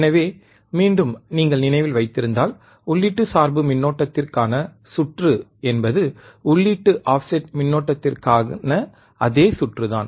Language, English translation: Tamil, So, again you if you if you guys remember, the circuit for the input bias current is the same circuit we can have for input offset current